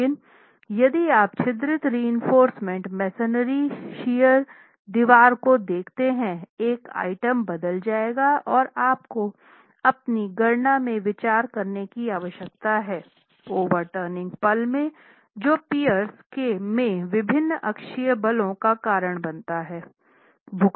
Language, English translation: Hindi, But if you were to look at a perforated reinforced masonry shear wall, the one item that would change and you need to adequately consider that in your calculations is the overturning moment causes different axial forces in pairs